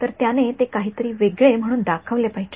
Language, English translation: Marathi, So, it should show up as something different